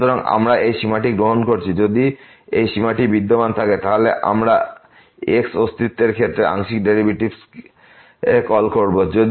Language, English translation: Bengali, So, we are taking this limit if this limit exist, then we call the partial derivatives with respect to x exist